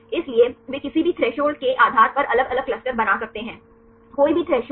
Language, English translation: Hindi, So, they can make different clusters depending upon the threshold any threshold right